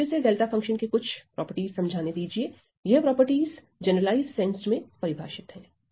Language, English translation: Hindi, So, again let me just highlight some properties of delta function again these properties are defined in the generalized in the generalized sense ok